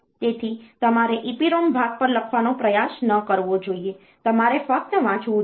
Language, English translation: Gujarati, So, you should not try to write on to the EPROM part, you should only read